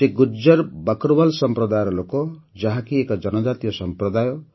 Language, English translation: Odia, He comes from the Gujjar Bakarwal community which is a tribal community